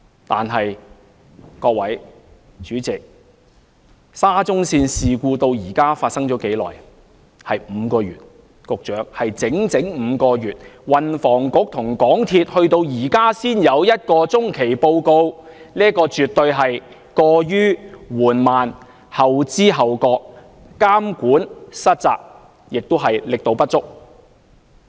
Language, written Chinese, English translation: Cantonese, 但是，各位、主席，沙中線事故發生至今已經5個月，局長，是整整5個月，運輸及房屋局和香港鐵路有限公司至今才有一份中期報告，這絕對是過於緩慢、後知後覺、監管失責，亦是力度不足。, President and Honourable colleagues the SCL incident has been exposed for five months already . The Secretary five months have passed and yet the Transport and Housing Bureau as well as the MTR Corporation Limited MTRCL have just come up with an interim report . This shows their slow response belated awareness dereliction of monitoring duties and failure to exert adequate efforts